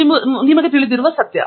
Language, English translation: Kannada, So that is the difficulty you know